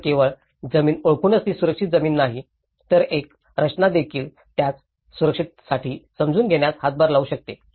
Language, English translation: Marathi, So, it is not only just by identifying the land and this is the safe land but even a design can contribute to the understanding the safety of it